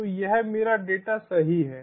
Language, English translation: Hindi, so this is my data